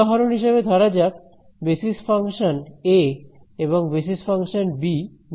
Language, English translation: Bengali, So, this is where right so basis function a is like this, basis function b is like this